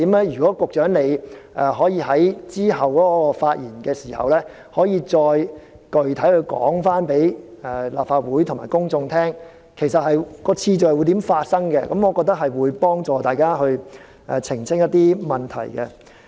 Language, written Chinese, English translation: Cantonese, 如果局長能夠在之後的發言中就這3個時間點再具體向立法會和公眾解釋，說明次序上如何安排，我認為可以幫助大家澄清疑問。, If in his speech later the Secretary can explain these three points in time more specifically to the Legislative Council and the public and give an account of how their order will be arranged I think it will help clarify Members misgivings